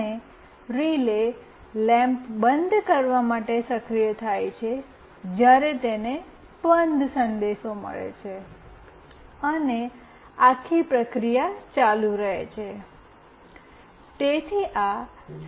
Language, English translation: Gujarati, And the relay is activated to turn off the lamp, when it receives the OFF message and the whole process continues